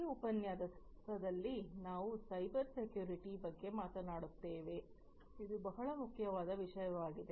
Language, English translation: Kannada, In this lecture, we will talk about Cybersecurity, which is a very important topic